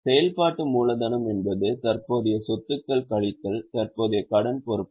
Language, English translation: Tamil, Working capital means current assets minus current liabilities